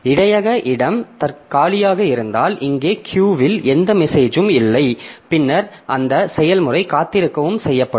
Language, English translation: Tamil, So if the buffer space is empty, there is no message is no message in the queue, then that process will also be made to wait